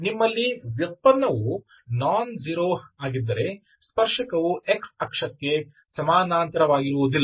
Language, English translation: Kannada, So once this derivative is nonzero, you can see that these tangents are not parallel to x axis